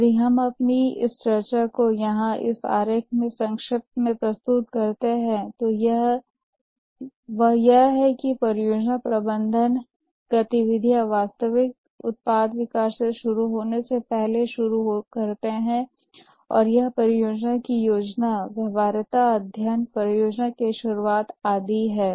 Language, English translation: Hindi, If we summarize our discussion here in this diagram, it is that the project management activities, they start much before the actual product development starts, and that is the project planning, the feasibility study, the project initiation and so on